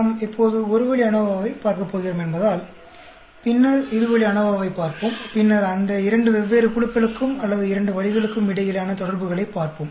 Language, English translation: Tamil, Because we are going to, now look at one way ANOVA, later on we will look at two way ANOVA, and then, we will look at interaction between those two different groups or two ways and so on actually